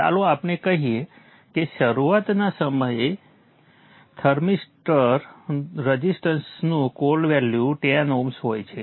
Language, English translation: Gujarati, So let us say at the time of start up the cold value of the thermal thermoster resistance is 10 oms